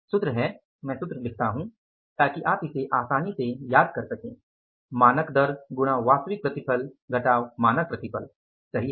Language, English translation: Hindi, I write the formula so that you can easily recall it standard rate into actual yield minus standard yield